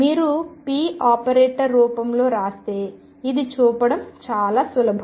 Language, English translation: Telugu, This is very easy to show if you write p in the operator form